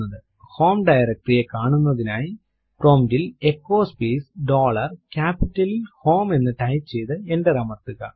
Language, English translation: Malayalam, To see the home directory type at the prompt echo space dollar HOME and press enter